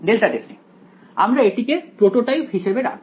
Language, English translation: Bengali, Delta testing; we’ll keep this as the prototype alright